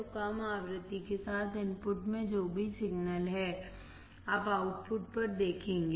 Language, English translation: Hindi, So, whatever signal is there in the input with lower frequency,you will see at the output right